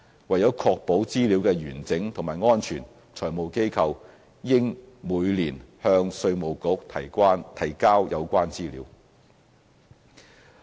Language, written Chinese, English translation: Cantonese, 為確保資料的完整及安全，財務機構應每年向稅務局提交有關資料。, To ensure the integrity and security of data FIs should submit the relevant data to IRD annually